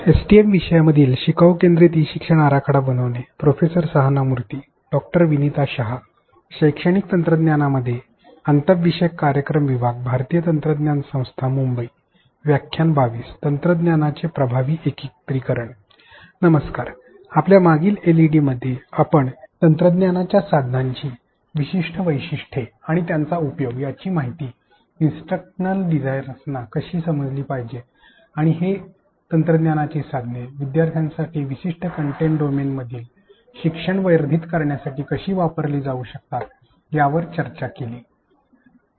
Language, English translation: Marathi, i, in our last LED we discussed on how instructional designer should understand the unique features and affordances of technology tool and how it can be used to enhance the learnings in a specific content domain for learners